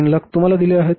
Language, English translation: Marathi, 300,000 is given to you